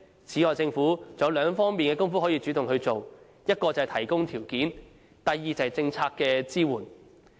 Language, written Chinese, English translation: Cantonese, 此外，政府還有兩方面的工夫可以主動去做：一是提供條件，二是政策支援。, Moreover the Government should take the initiative to provide a favourable environment and policy support